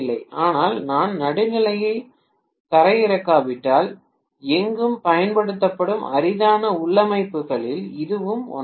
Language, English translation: Tamil, But this is one of the rarest configurations that are used anywhere, unless I ground the neutral